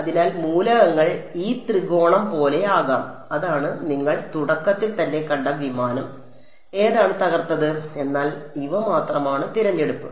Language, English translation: Malayalam, So, the elements it can be like this triangle that is what you saw in the very beginning the aircraft whichever was broken, but these are the only choice